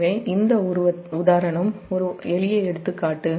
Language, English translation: Tamil, so there, this, this example, is a simple example, simple example